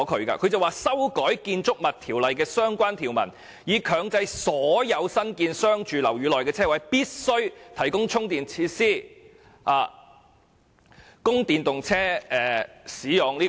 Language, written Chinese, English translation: Cantonese, 他建議"修改《建築物條例》的相關條文，以強制所有新建之商住樓宇內的車位，必須提供充電設施，供電動車充電之用"。, He proposes to amend the relevant provisions of the Buildings Ordinance to mandate the provision of charging facilities for charging EVs at all parking spaces in newly constructed commercial and residential buildings